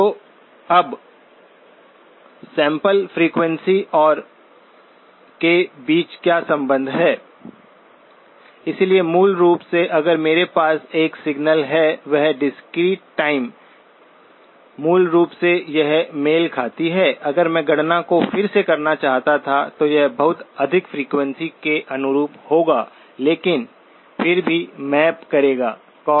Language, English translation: Hindi, So now what is the relationship between the sampling frequency and the, so basically if I have a signal, a discrete time, basically this corresponds to if I were to redo the calculation, this will correspond to a much higher frequency but will still map to the cosine 2pi by 3n